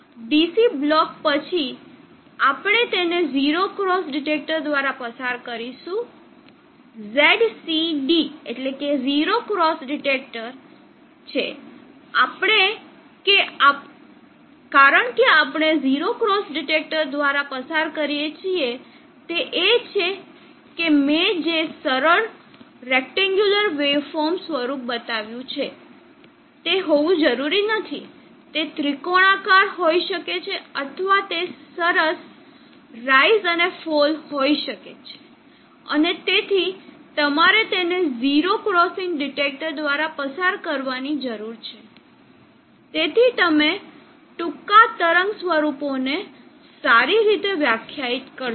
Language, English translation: Gujarati, Then after we DC block we will pass it through the 0 pass detector XCD is the 0 cross detector, the reason that we pass through the 0 cross detector is that what I have shown as an iso rectangular wave form need not be it can be triangular or it can have smoother rise and fall, and therefore, you need to pass it through a 0 crossing detector, so that you will get well defined short wave forms